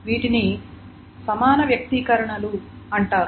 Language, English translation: Telugu, So that is called an equivalent expression